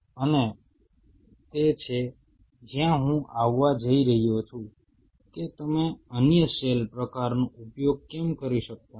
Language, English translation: Gujarati, And that is where I am going to come that why you cannot use the other cell type